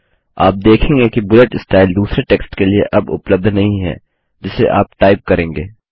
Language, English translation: Hindi, You see that the bullet style is no longer available for the new text which you will type